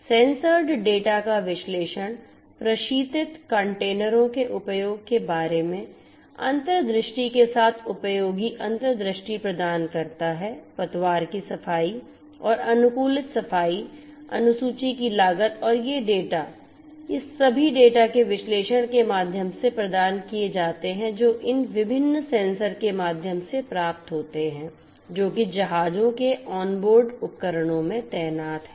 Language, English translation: Hindi, The analysis of the sensed data provides useful insights with respect to the insights about power usage of refrigerated containers, the cost of hull cleaning and optimized cleaning schedule and their data these are all provided through the analysis of the data that are obtained through these different sensors that are deployed in the onboard you know devices of the ships